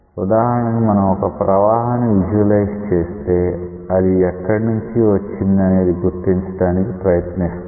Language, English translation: Telugu, Let us say you want to visualize a flow, we will try to identify the concept from where it has come